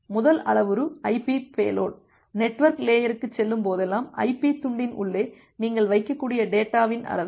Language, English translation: Tamil, The first parameter is the IP payload; the amount of data that you can put inside the IP fragment, whenever it is going to the network layer